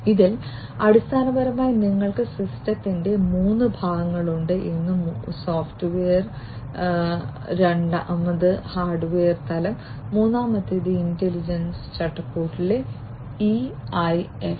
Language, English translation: Malayalam, In this basically you have 3 types, 3 parts of the system one is the software plane, second is the hardware plane and the third is the ensemble in intelligence framework the EIF